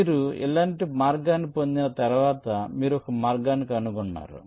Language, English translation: Telugu, so once you get a path like this, your found out a path